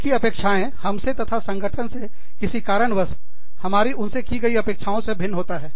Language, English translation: Hindi, Who, somehow, who have different expectations, from us, and from the organization, than we have from them